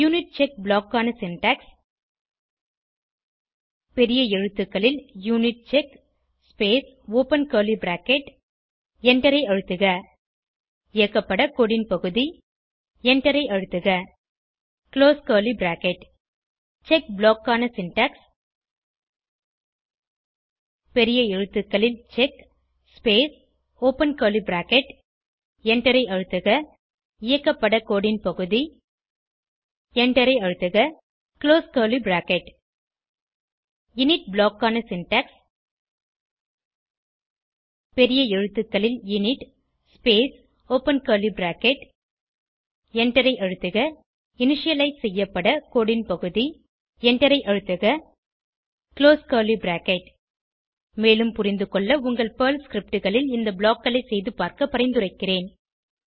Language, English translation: Tamil, The syntax for UNITCHECK block is as follows UNITCHECK in capital letters space open curly bracket Press Enter Piece of code to be executed Press Enter Close curly bracket The syntax for CHECK block is as follows CHECK in capital letters space open curly bracket Press Enter Piece of code to be executed Press Enter Close curly bracket The syntax for INIT block is as follows INIT in capital letters space open curly bracket Press Enter Piece of code to be initialised Press Enter Close curly bracket For better understanding, I recommend that you experiment with these blocks in your Perl scripts